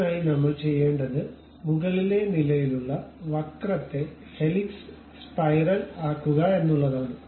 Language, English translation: Malayalam, For that purpose what we have to do go to insert on top level there is a curve in that curve go to helix spiral